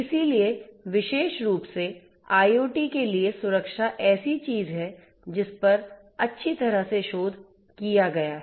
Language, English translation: Hindi, So, security for IT particularly in general is something that has been well researched